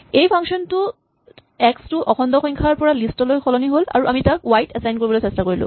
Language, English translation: Assamese, Here we have this function in which we now changed x from an integer to a list and then we try to assign it in y